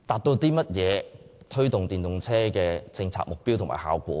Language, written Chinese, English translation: Cantonese, 可如何達致推動電動車的政策目標和效果呢？, How can it achieve the policy objective and the effect of promoting EVs?